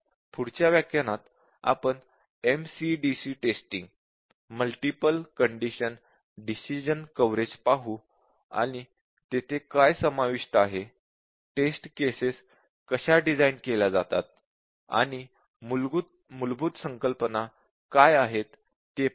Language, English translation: Marathi, So in the next session, we will look at multiple condition decision coverage that is MCDC testing and see what is involved there, how a test case is designed, and what are the basic concepts there